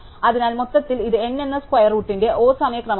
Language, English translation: Malayalam, So, overall it is time O order of square root of n